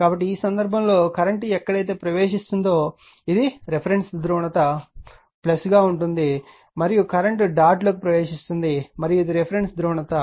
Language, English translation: Telugu, So, in this case current is entering in their what you call this is a reference polarity is given that is your plus right and current entering into the your dot right and this is the reference polarity